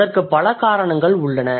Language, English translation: Tamil, There are multiple reasons